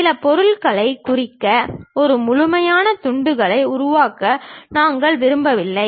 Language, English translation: Tamil, We do not want to make complete slice to represent some object